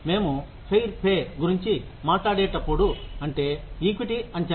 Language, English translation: Telugu, When we talk about fair pay, fair pay is equity is the assessment